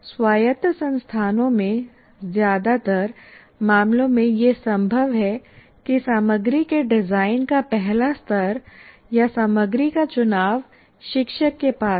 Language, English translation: Hindi, But it is possible in most of the cases in autonomous institutions, the first level of design of content or the choice of the contents rests with the teacher